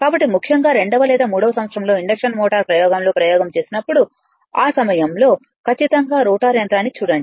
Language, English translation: Telugu, So, when you do experiment particularly in your second or third year induction machine experiment, at that time wound rotor machine definitely we will see